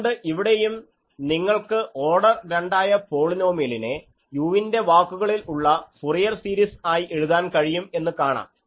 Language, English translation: Malayalam, So, here also you see that this second order polynomial can be written as a Fourier series in u